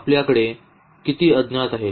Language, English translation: Marathi, How many unknowns do we have here